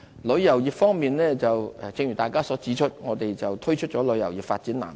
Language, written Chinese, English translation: Cantonese, 旅遊業方面，正如大家所指出，我們推出了旅遊業發展藍圖。, Regarding tourism as remarked by Members we have formulated the Development Blueprint for Tourism Industry